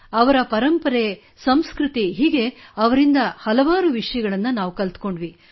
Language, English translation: Kannada, We learnt a lot about their tradition & culture